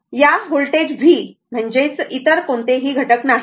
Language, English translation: Marathi, This voltage v means no other element is there